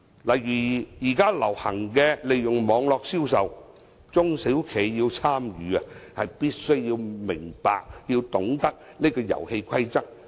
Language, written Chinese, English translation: Cantonese, 例如現在流行利用網絡銷售，中小企要參與，便必須明白，要懂得這個遊戲規則。, For instance online trade has become very popular nowadays . If SMEs want to participate in it they have to understand and know the rules of the game